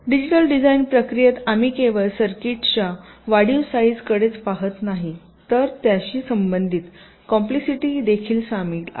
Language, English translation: Marathi, ok, so in the digital design process we are not only looking at the increased sizes of this circuits but also the associated complexity involved